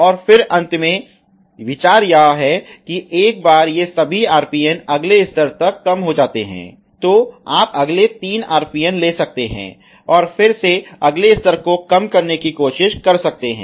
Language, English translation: Hindi, And then finally the idea is that once all these RPN’s are reduce to the next level, you can take next three RPN, again to try to reduce the next level so and so forth